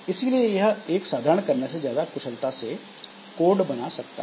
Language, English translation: Hindi, Or it can also generate general more efficient code than one general kernel